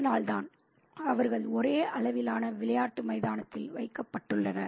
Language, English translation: Tamil, So, that's why they have been put on the same level playing ground